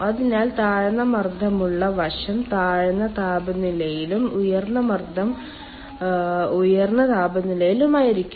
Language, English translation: Malayalam, so low pressure side will be on the low temperature side also and high pressure side will be at the high temperature side